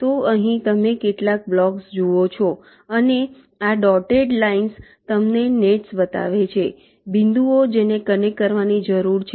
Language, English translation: Gujarati, so so here you see some blocks and this dotted lines show you ah, the nets, the points which need to be connected